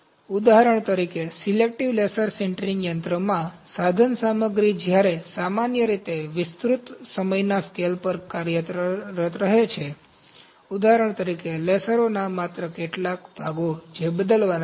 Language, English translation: Gujarati, For example, in selective laser sintering machine, the equipment when general remain functional over an extended time scale, only some of the parts for instance, lasers, those are to be replaced